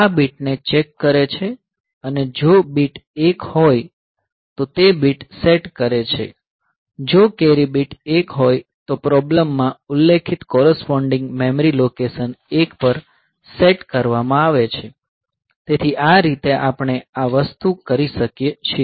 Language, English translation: Gujarati, So, this checking the bit and if the bit is 1, then it is setting the bit; if the carry bit is 1, then the corresponding memory location that is mentioned in the problem that is set to 1; so, this way we can do this thing